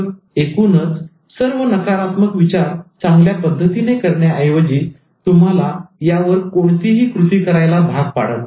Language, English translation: Marathi, And the overall negative thinking, instead of making you do it much better, it actually compels you not even to take any action